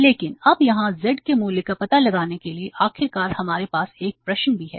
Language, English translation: Hindi, But now to find out the value of Z here finally we have a cushion also